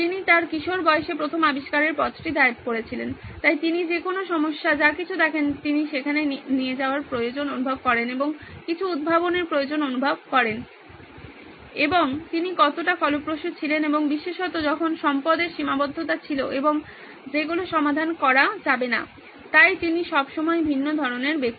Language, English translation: Bengali, He had filed his first invention way back when he was in his teens, so any problem anything that he saw, he felt the need to go and invent something and that’s how prolific he was and particularly when there were resource constraints and things could not be solved, so he is always a very different kind of person